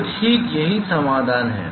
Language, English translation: Hindi, So, that is the solution all right